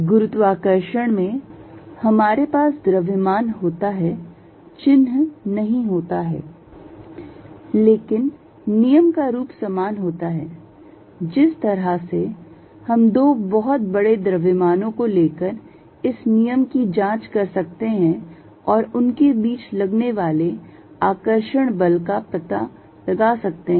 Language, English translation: Hindi, In gravitation, we have mass does not have a sign, but the form of the law is the same, the way when could check this law by taking too large masses and find in the force of attraction between them